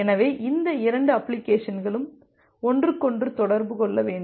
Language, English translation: Tamil, So these two application need to communicate with each other